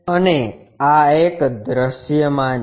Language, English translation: Gujarati, And this one is visible